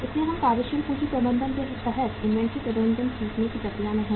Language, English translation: Hindi, So we are in the process of learning the inventory management under the working capital management